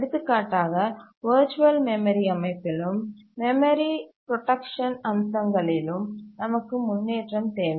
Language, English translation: Tamil, For example, in the virtual memory system and in the memory protection features, we need improvement